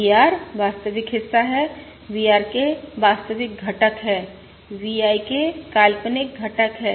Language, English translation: Hindi, VR is the real part, VRK, the real component, V I K is the imaginary component